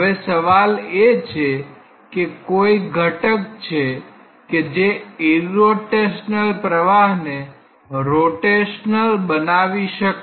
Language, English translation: Gujarati, Now, the question is there any agent that can make the flow from irrotational to rotational